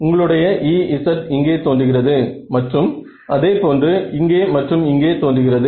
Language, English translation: Tamil, So, your E z is appearing here and here similarly here and here ok